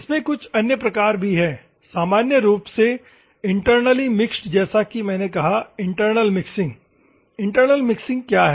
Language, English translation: Hindi, There is other types normally, internal mixing as I said external mixing, what is internal mixing